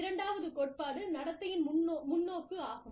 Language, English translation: Tamil, The second theory is the behavioral perspective